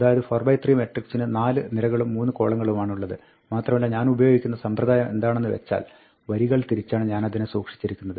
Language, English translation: Malayalam, So, 4 by 3 matrix has 4 rows and 3 columns, and I am using the convention that, I store it row wise